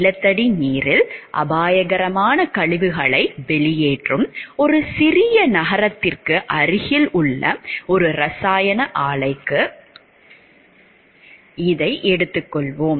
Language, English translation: Tamil, We will take it for an example chemical plant which is near a small city that discharges a hazardous waste into groundwater